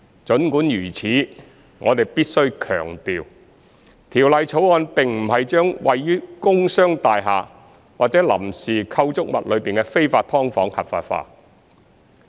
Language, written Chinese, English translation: Cantonese, 儘管如此，我們必須強調，《條例草案》並不是將位於工商大廈或臨時構築物內的非法"劏房""合法化"。, Nevertheless we must emphasize that the Bill does not legitimize illegal subdivided units located in commercial and industrial buildings or temporary structures